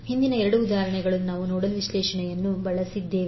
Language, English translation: Kannada, In the previous two examples, we used nodal analysis